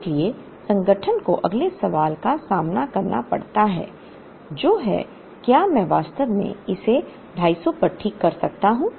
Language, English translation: Hindi, So, the organization faces the next question which is, do I actually fix it at 250